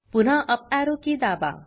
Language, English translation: Marathi, Press the uparrow key twice